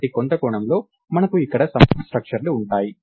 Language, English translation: Telugu, So, in some sense we have a nested structures ah